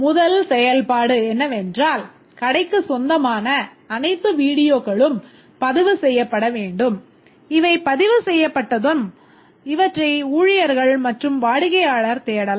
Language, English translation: Tamil, The first functionality is that all the videos that the store owns needs to be recorded and once these are recorded, this can be searched by staff and also the customer